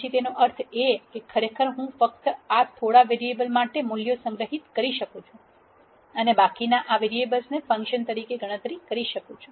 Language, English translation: Gujarati, Then it means that actually I can store values for only these few variables and calculate the remaining as a function of these variables